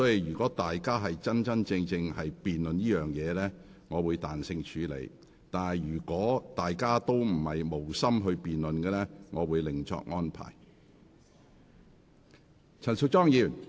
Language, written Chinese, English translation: Cantonese, 如議員認真進行辯論，我會彈性處理；但如議員無心辯論，我會另作安排。, I will exercise discretion if Members are serious about the debate but I will make an alternative arrangement if Members have no intention of debating